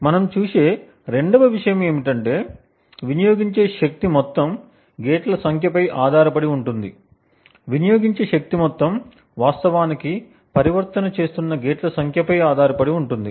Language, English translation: Telugu, Secondly what we also see is that the amount of power consumed depends on the number of gates that amount of power consumed depends on the number of gates that is actually making the transition